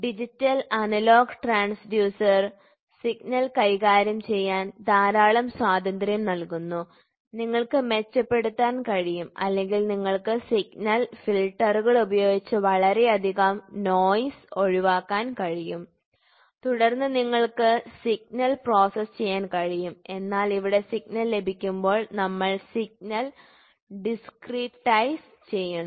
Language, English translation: Malayalam, So, these are digital transducers digital analogous transducer gives lot of freedom to play with the signal, you can you can enhance or you can enhance the signal put filters get to avoid lot of noise and then you can process the signal, but whereas, here when we get the signal itself we discretize the signal